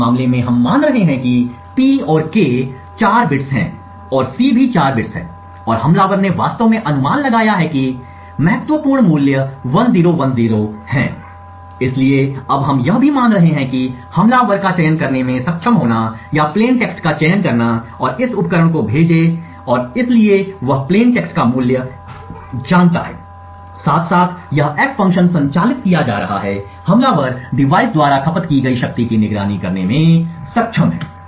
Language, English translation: Hindi, So in this case we are assuming that P and K are of 4 bits and also C is a 4 bits and the attacker has actually guessed that the key value is 1010, so now what we are also assuming is that the attacker is able to choose or select plain text and sent to this device and therefore he knows the value of plain text, side by side as this F function is being operated upon the attacker is able to monitor the power consumed by the device